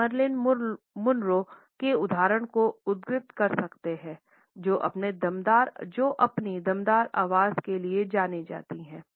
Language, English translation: Hindi, We can quote the example of Marilyn Monroe who is known for her breathy voice